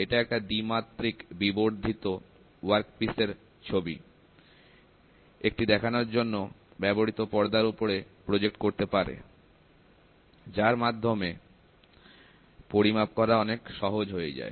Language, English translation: Bengali, It projects a 2 dimensional magnified image of the workpiece onto a viewing screen to facilitate measurement